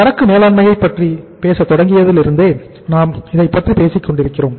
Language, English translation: Tamil, We have been talking since we started talking about the inventory management